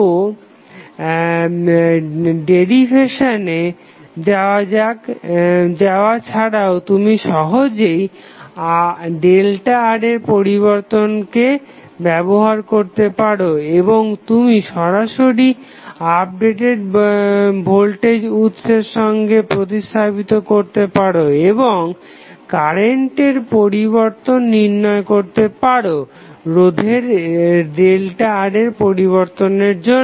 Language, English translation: Bengali, So, without going into the derivation, you can simply use the change in the circuit that is the change in delta R and you can replace directly with the updated voltage source and find out the change in current because of change in resistance delta R